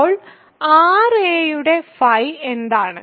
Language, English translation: Malayalam, So, what is phi of r a